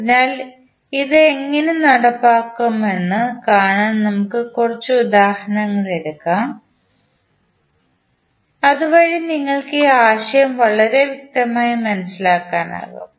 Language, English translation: Malayalam, So, to see how we can implement this we will take couple of example so that you can understand this concept very clearly